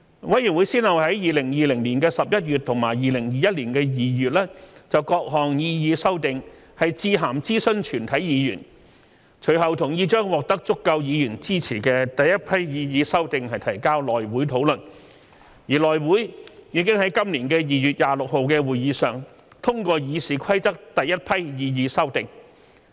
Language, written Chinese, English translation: Cantonese, 委員會先後於2020年11月及2021年2月就各項擬議修訂致函諮詢全體議員，隨後同意將獲得足夠議員支持的第一批擬議修訂提交內會討論，而內會已於今年2月26日的會議上通過《議事規則》第一批擬議修訂。, In November 2020 and February 2021 respectively letters were sent by CRoP to all Members in regard to various proposed amendments . Subsequently it was agreed that the first batch of proposed amendments which had garnered enough support from Members would be submitted to the House Committee for discussion . And at the meeting on 26 February this year the first batch of proposed amendments was endorsed by the House Committee